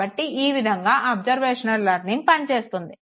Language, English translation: Telugu, So this is how observational learning works